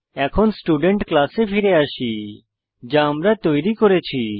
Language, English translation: Bengali, So let us come back to the Student class which we created